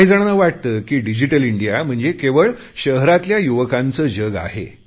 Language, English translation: Marathi, Some people feel that Digital India is to do with the world of the youth in our cities